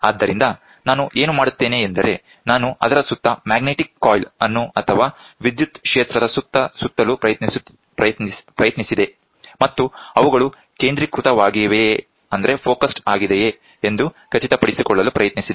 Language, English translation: Kannada, So, what I do is, I tried to put a magnetic coil around it or an electric field, and make sure that they are focused